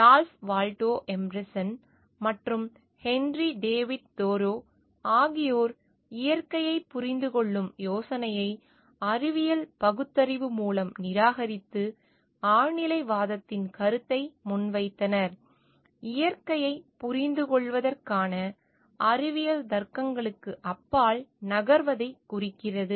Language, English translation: Tamil, Ralph Waldo Emerson and Henry David Thoreau rejected the idea of understanding nature, through scientific rationality and proposed the concept of transcendentalism; which denotes moving beyond the scientific logics for understanding nature